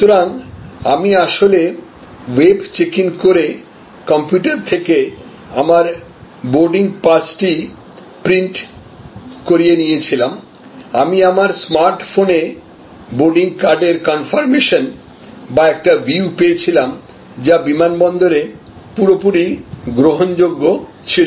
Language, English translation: Bengali, So, I actually could check in on the web, I could print my boarding pass from my computer, I got the conformation or a view of the boarding card on my smart phone, which was acceptable, perfectly acceptable at the airport